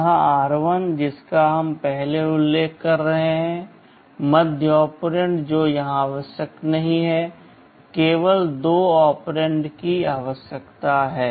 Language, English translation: Hindi, This r1 which we are mentioning earlier, the middle operand that is not required here, only two operands are required